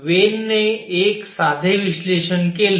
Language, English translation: Marathi, So, Wien did a simple analysis